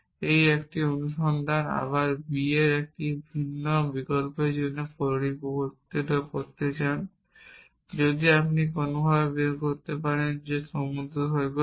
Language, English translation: Bengali, And everything fails you do naught want to do repeat this same search again for a different option of b if you can figure out somehow that beach is the